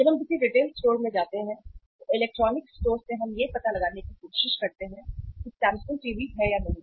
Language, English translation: Hindi, When we go to a retail store and go to a store, electronic store we try to find out that whether Samsung TV is there or not right